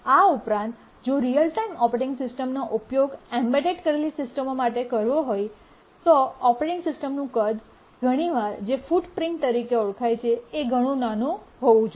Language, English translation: Gujarati, Also, if the real time operating system is to be used for embedded systems, then the size of the operating system, sometimes called as the footprint of the operating system, needs to be very small